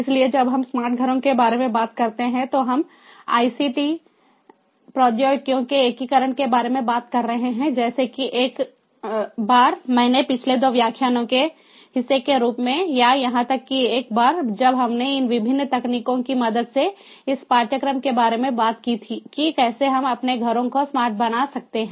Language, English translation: Hindi, so when we talk about smart homes, we are talking about the integration of ict technologies, like the once that i mentioned as part of the previous two lectures, or even the once that we spoke about throughout in this course, taking help of these different technologies, how we can make our home homes smart